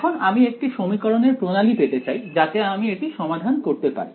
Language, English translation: Bengali, Now, but I want to get a system of equation so that I can solve this